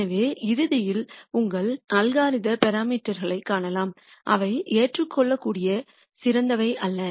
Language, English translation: Tamil, So, ultimately your algorithm might nd parameters which while may be acceptable are not the best